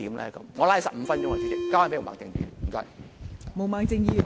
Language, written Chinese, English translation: Cantonese, 我說了15分鐘，交回毛孟靜議員。, I have used up my 15 minutes I am going to pass it back to Ms Claudia MO